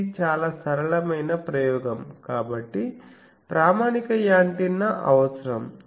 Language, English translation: Telugu, So, what is done it is a very simple experiment so standard antenna is required